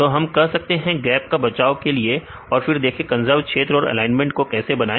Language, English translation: Hindi, So, they can say the to avoid the gaps and then see the conserved regions how they can make this alignment